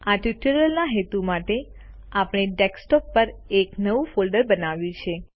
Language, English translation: Gujarati, For the purposes of this tutorial: We have created a new folder on the Desktop